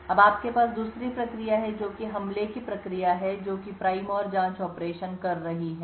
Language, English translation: Hindi, Now you have the other process which is the attack process which is doing the prime and probe operations